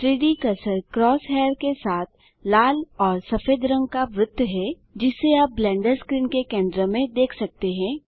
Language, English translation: Hindi, The 3D Cursor is the red and white ring with the cross hair that you see at the centre of the Blender screen